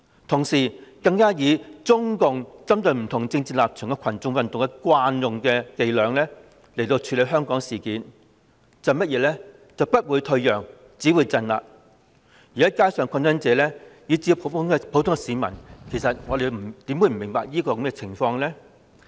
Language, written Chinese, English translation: Cantonese, 同時，她更以中共針對不同政治立場的群眾運動的慣用伎倆處理香港事件，就是"不會退讓，只會鎮壓"，而街上的抗爭者以至普通市民其實又怎會不明白這一點呢？, At the same time she employed the old trick of the Communist Party of China CPC for dealing with the mass movements of different political stances to deal with Hong Kong issues that is no concession only repression . In fact how can the protesters on the streets and even the ordinary people miss this point?